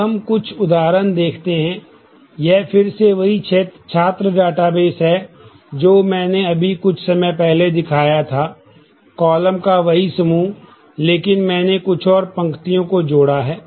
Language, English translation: Hindi, Now, let us look at some examples, this is again the same student database, I just shown a while ago the same set of columns, but I have added few more rows